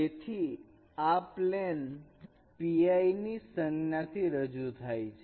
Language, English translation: Gujarati, So a plane is denoted here by the symbol pi